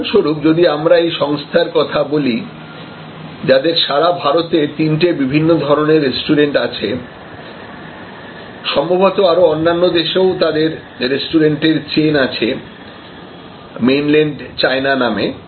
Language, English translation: Bengali, And that is why in a, say for example, if we take this organization, which has three different types of restaurants across India and perhaps, now in other countries they have a chain of Chinese restaurants called Mainland China